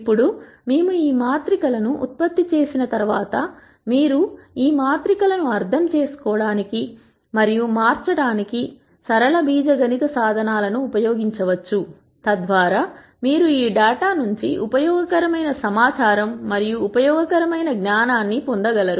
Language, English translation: Telugu, Now, once we generate these matrices then you could use the linear algebra tools to understand and manipulate these matrices, so that you are able to derive useful information and useful knowledge from this data